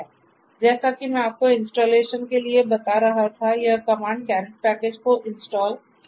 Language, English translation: Hindi, So, as I was telling you for installation, this command will install the caret package